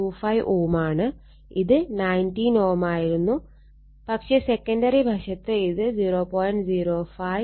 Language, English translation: Malayalam, 25 ohm, it is 19 ohm and secondary side it is 0